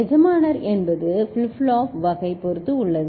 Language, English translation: Tamil, And the master is depending on the flip flop type